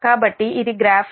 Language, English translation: Telugu, so this is that graph